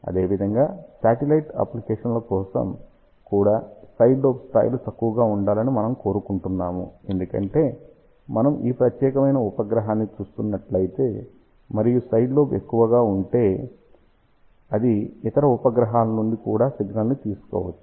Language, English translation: Telugu, Similarly, for satellite application also we would like side lobe levels to be low, because if we are looking at this particular satellite, and if the side lobe is high, then it may pick up the signal from the other satellite also